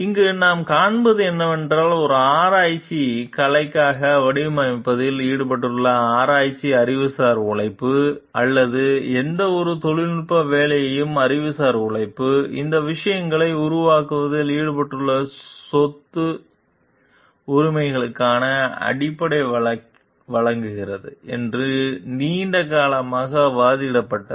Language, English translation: Tamil, What we find over here is like it has been long argued like, the research intellectual labour which is involved in a designing for a research artistic, or any technological work the intellectual labour, which is involved in the creation of these things provides the basis for property rights